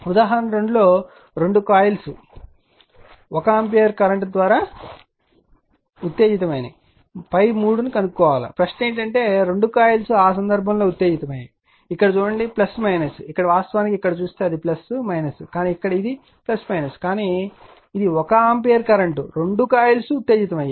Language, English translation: Telugu, Example 2 when both the coils are excited by 1 ampere current; determine phi 3 right so, question is that the both the coils are excited in that case, look here is plus minus here it is actually if you look into that here it is plus minus, but here it is plus minus, but 1 ampere current both the coils are excited